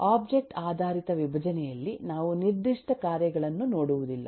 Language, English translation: Kannada, In object oriented decomposition we do not look at the specific tasks